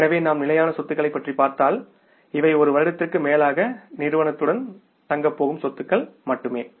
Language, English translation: Tamil, So if you talk about the fixed assets, only these are the assets which are going to stay with the firm for more than one year